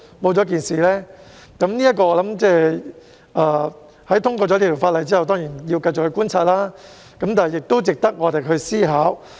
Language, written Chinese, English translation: Cantonese, 我認為在《條例草案》通過之後，當然要繼續觀察，但這點亦值得我們思考。, In my view while further observations are certainly needed after the passage of the Bill this issue is also worth our consideration